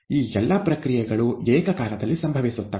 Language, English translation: Kannada, And all of these are simultaneously occurring